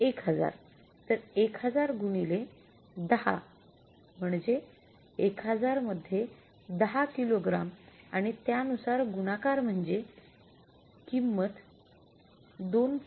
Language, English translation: Marathi, So 1,000 into 10, that is the 1,000 into 10 kgs and multiplied by what